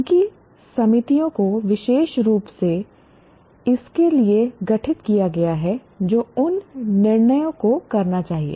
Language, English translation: Hindi, Their committees specifically constituted for that should make those decisions